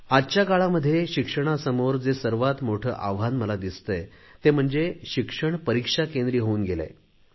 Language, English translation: Marathi, "Today what I see as the biggest challenge facing the education is that it has come to focus solely on examinations